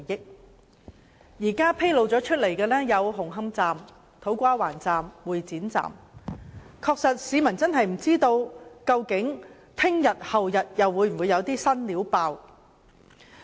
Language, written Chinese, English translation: Cantonese, 現時已揭露有工程問題的車站是紅磡站、土瓜灣站及會展站，市民真的不知道究竟明天、後天會否又有"新料"爆出。, So far the stations found to have works problems are Hung Hom Station To Kwa Wan Station and Exhibition Centre Station . Members of the public may wonder if new scandals will be exposed tomorrow or thereafter